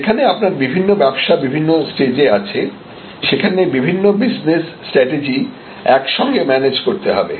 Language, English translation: Bengali, And if you have different businesses or difference stages, then you may have to manage this different business types of strategies together